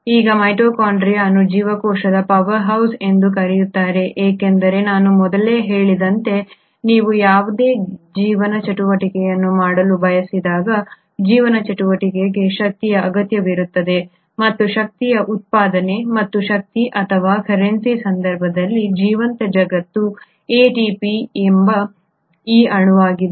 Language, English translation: Kannada, Now mitochondria is also called as the powerhouse of the cell because as I mentioned earlier also that when you want to do any life activity, the life activity requires energy and there has to be production of energy and that energy or the currency in case of a living world is this molecule called ATP